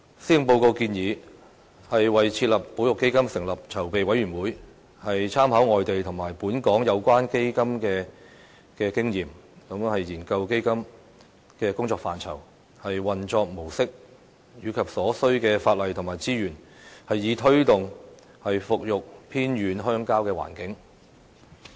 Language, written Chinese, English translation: Cantonese, 施政報告建議"為設立保育基金成立籌備委員會，參考外地及本港有關基金的經驗，研究此基金的工作範圍、運作模式和所需法例及資源"，以推動復育偏遠鄉郊的環境。, As proposed by the Policy Address the Government will establish a preparatory committee to study the ambit and modus operandi of a conservation fund as well as the legislation and resources required for setting up such a fund . In the process we will take into account relevant experience in and outside Hong Kong . The aim is to promote the revitalization of remote rural areas